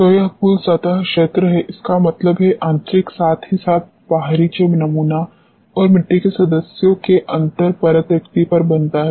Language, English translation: Hindi, So, this is a total surface area; that means, the internal as well as the external which forms on the sample and the interlayer spacing of the soil members